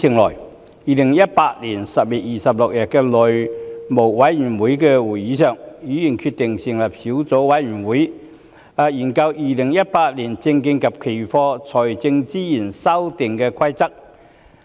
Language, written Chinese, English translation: Cantonese, 在2018年10月26日的內務委員會會議上，議員決定成立小組委員會，以研究《2018年證券及期貨規則》。, At the House Committee meeting on 26 October 2018 Members decided to form a subcommittee to study the Securities and Futures Amendment Rules 2018